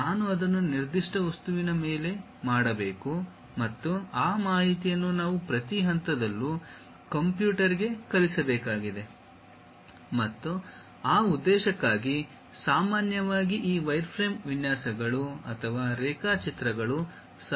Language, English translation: Kannada, This kind of things, I have to make it on certain object; and, those information we have to teach it to the computer at every each and every point and for that purpose, usually this wireframe designs or drawings will be helpful